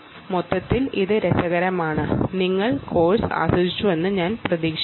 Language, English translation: Malayalam, overall, its being fun and i hope you enjoyed the course